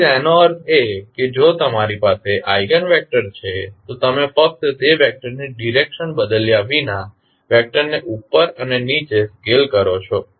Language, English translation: Gujarati, So, that means that if you have the eigenvector you just scale up and down the vector without changing the direction of that vector